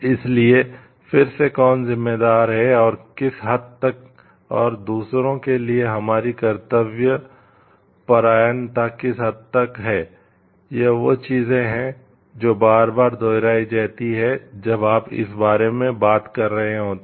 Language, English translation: Hindi, So, again who is responsible and to what extent and what is our degree of dutifulness to others are the things which gets repeated again and again when you are talking of this